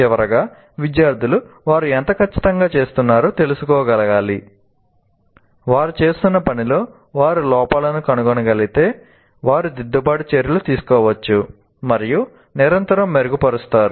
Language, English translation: Telugu, And finally, the student should be able to know how exactly they are doing and if they can find faults with whatever they are doing, they will be able to take corrective steps and continuously improve